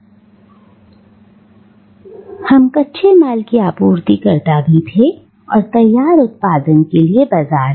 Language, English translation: Hindi, So, we were both the suppliers of the raw materials and we were also the market for the finished product